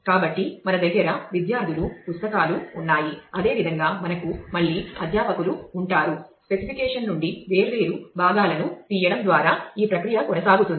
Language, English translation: Telugu, So, we have books we have students similarly we will have faculty again the there is this process will continue by extracting different parts from the specification